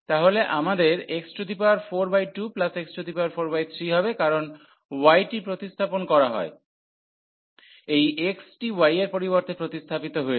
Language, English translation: Bengali, So, we will have x power 4 by 2 and then we will have here also x power 4, because y is substituted this x is substituted for y